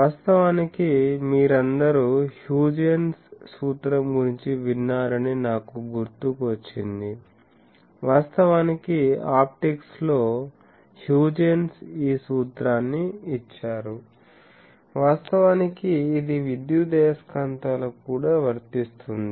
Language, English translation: Telugu, So, actually I recall all of you have heard of Huygens principle, actually in optics Huygens gave this principle actually this is true for electromagnetics also